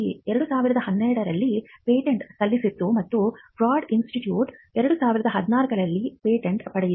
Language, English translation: Kannada, UCB had filed a patent in 2012 and the Broad Institute was the first to win the patent in 2014